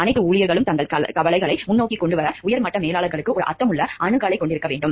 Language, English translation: Tamil, All employees must have a meaningful access to high level managers in order to bring their concerns forward